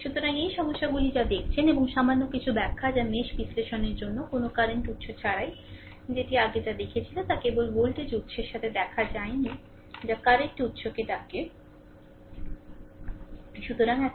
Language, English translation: Bengali, So, this is whatever we have seen those problems and little bit of explanation that is your without any current sources for the mesh analysis earlier whatever we have saw we saw it is only with the voltage sources we have not seen any your what we call current sources, right